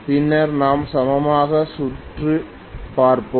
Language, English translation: Tamil, Then we will look at the equivalent circuit